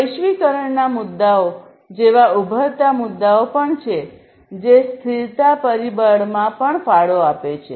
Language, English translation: Gujarati, Emerging issues are also there like the globalization issues which also contribute to the sustainability factor